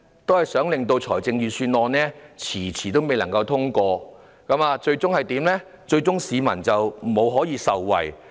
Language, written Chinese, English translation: Cantonese, 就是令預算案遲遲未能獲得通過，結果令市民無法盡早受惠。, That is to delay the passage of the Budget making people unable to be benefited as soon as possible